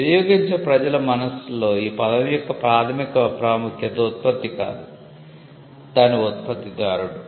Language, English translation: Telugu, Primary significance of the term in the minds of the consuming public is not the product, but the producer